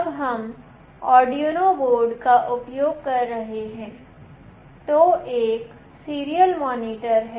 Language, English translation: Hindi, When we are using Arduino board there is a serial monitor